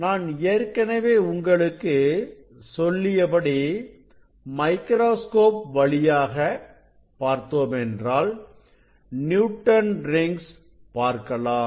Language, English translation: Tamil, Now as I told if I look at the microscope, I will see the Newton s ring because I have set for that condition